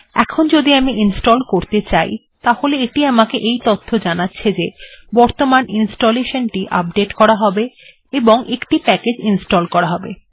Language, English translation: Bengali, Now if I say install, it says that this installation will be updated, one package will be installed